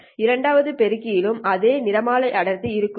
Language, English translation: Tamil, Well the second amplifier also has the same spectral density